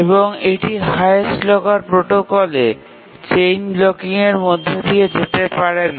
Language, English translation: Bengali, What it means is that under the highest locker protocol chain blocking cannot occur